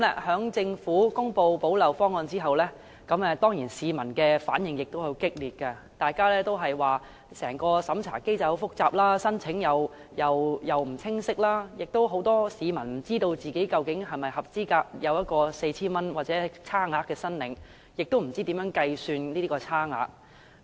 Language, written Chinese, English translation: Cantonese, 在政府公布補漏方案後，市民的反映當然十分激烈，大家也說整個審查機制非常複雜，申請程序亦不清晰，很多市民都不知道自己究竟是否符合資格申領 4,000 元或當中的差額，亦不知道如何計算差額。, After the Government announced the proposal for plugging the gaps public reactions were certainly strong . Everyone said that the whole vetting mechanism was very complicated and also the application procedures were unclear . Many people did not know whether they were actually eligible for claiming 4,000 or the balance